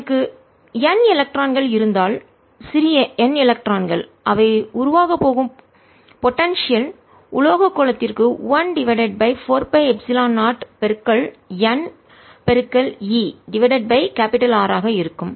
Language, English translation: Tamil, so if i have n electrons, small n electrons, the potential they are going to give rise to is going to be one over four, pi, epsilon zero, n, e over capital r for the metallic sphere